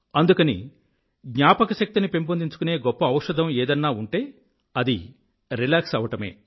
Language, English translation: Telugu, And therefore the most effective medicine that exists for memory recall is relaxation